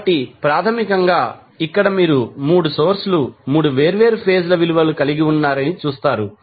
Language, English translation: Telugu, So, basically here you will see that the 3 sources are having 3 different phase value